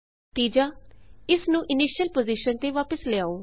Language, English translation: Punjabi, Bring it back to initial position